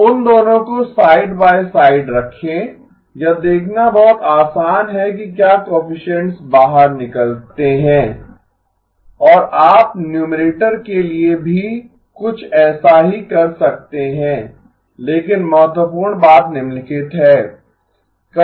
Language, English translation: Hindi, So put them both side by side, it is very easy to sort of see what the coefficients come out to be and you can do something similar for the numerator also but the important thing is the following